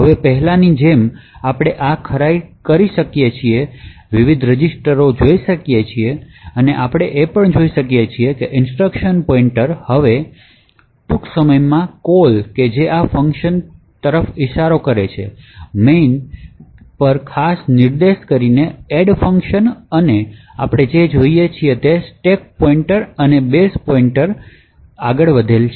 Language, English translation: Gujarati, Now as before we could also verify this, we could look at the various registers and we see that the instruction pointer now points to somewhere in main in fact it is pointing to the function soon after the call which is this which corresponds to the add function and what we also see is that the stack pointer and the base pointer have moved up in the stack